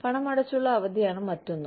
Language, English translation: Malayalam, Paid time off is another one